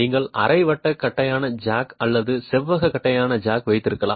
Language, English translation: Tamil, You can have a semicircular flat jack or a rectangular flat jack